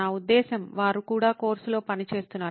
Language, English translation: Telugu, I mean, they were also working of course